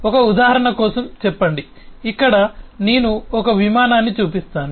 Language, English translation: Telugu, say, for an example, here i just show an aircraft